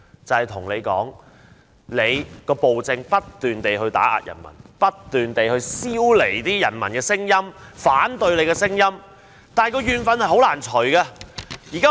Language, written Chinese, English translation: Cantonese, 就是說當權者不斷以暴政打壓人民，不斷消弭人民的聲音、反對的聲音，但仍難除去怨憤。, It says that the authority has been adopting oppressive measures to suppress the people to muffle the voices of the people and the opposition yet it cannot dispel the grievances and anger of the people